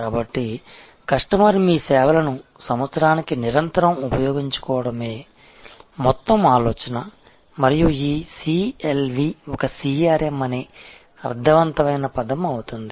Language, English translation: Telugu, So, the whole idea is to have a customer continuously utilizing your services year after year and that is when this CLV becomes a meaningful term a CRM